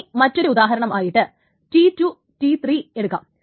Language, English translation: Malayalam, And let us just do one more example, which is T2 and T4